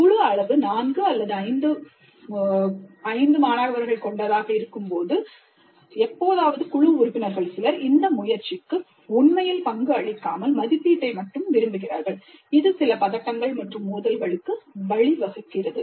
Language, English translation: Tamil, When a group size is something like four or five, occasionally it is possible that some of the group members really do not contribute to the effort but they want a share in the credit and this essentially leads to certain tensions and conflicts which need to be resolved